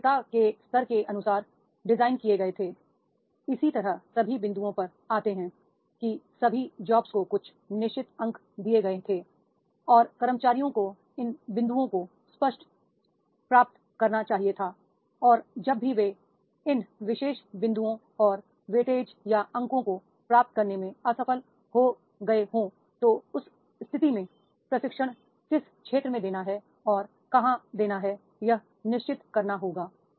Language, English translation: Hindi, The seniority levels were accordingly designed that is similar to the points, all the jobs were given certain points and the employees were supposed to achieve these points and whenever they are failing to achieve these particular points and the weight age are points and then in that case those are the training areas where the employees are to be trained